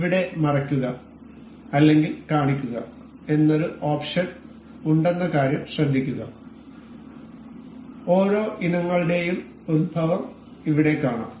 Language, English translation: Malayalam, Note that there is a option called hide or show here and we can see the origins of each of the items being here present here